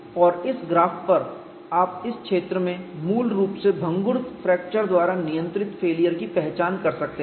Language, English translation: Hindi, And on this graph, you could also identified failure basically controlled by brittle fracture in this zone